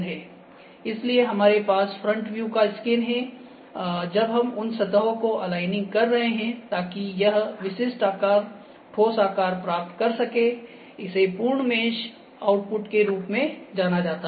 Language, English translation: Hindi, So, we have scan from front views, when we are aligning those surfaces to get this specific shape, the solid shape, this is known as complete mesh output